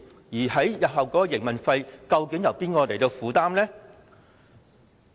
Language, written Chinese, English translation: Cantonese, 日後的營運開支，究竟由哪一方負擔？, Who will pay the operating expenses of HKPM in the future?